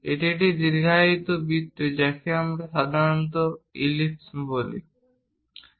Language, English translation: Bengali, This is elongated circle which we usually call ellipse, having major axis and minor axis